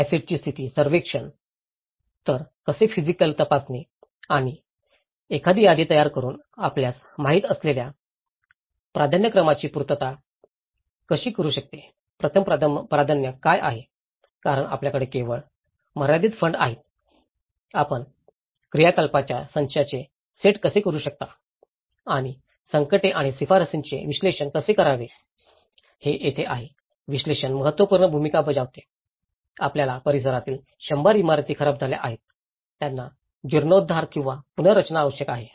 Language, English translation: Marathi, Condition survey of assets; so how physical inspection and also one can make an inventory and determining the priorities you know, what is the first priority because you only have a limited fund, how you can priorities the set of activities and analysis of distress and recommendations so, this is where the analysis plays an important role, you have hundred buildings damaged in the locality which needs restoration or reconstruction